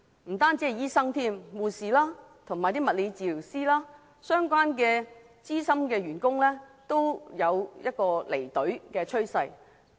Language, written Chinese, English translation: Cantonese, 不單醫生，護士、物理治療師及相關資深員工都有離隊的趨勢。, There is a trend that not only doctors but also nurses physiotherapists and related veteran staff are leaving the public sector